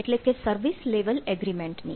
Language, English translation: Gujarati, so service level management